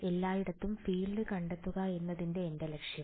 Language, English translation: Malayalam, My objective was to find the field everywhere